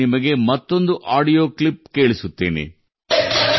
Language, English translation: Kannada, Let me play to you one more audio clip